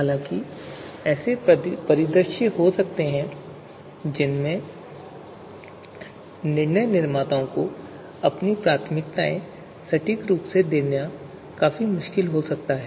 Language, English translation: Hindi, So however, there might be scenarios where you know, decision makers might find it, you know quite difficult to give their preferences exactly